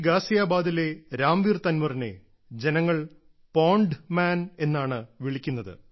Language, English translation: Malayalam, the people of Ghaziabad in UP know Ramveer Tanwar as the 'Pond Man'